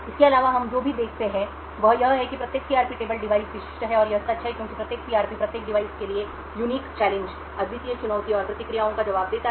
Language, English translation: Hindi, Further, what we also see is that each CRP table is device specific and this is true because each CRP response to the unique challenge and responses corresponding to each device